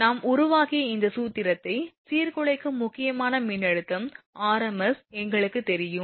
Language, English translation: Tamil, We know disruptive critical voltage rms this formula we have also derived